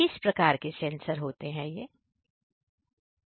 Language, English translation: Hindi, What kind of sensors are there